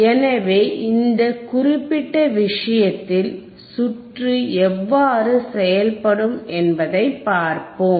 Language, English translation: Tamil, So, in this particular case, let us see how the circuit will work, let us see how the circuit will work, right